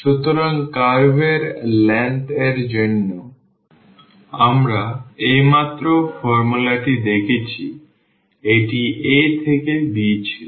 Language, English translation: Bengali, So, for the curve length we have just seen the formula was a to b